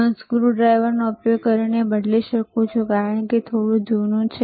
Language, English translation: Gujarati, I can change it using the screwdriver, right this is , because it is a little bit old